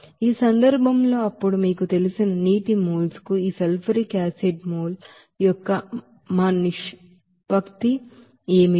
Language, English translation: Telugu, In this case, then what will be our ratio of this sulfuric acid mole to the you know water mole